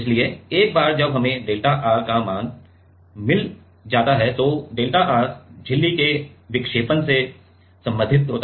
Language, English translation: Hindi, So, once we get the value of delta R then delta R is related to the deflection of the membrane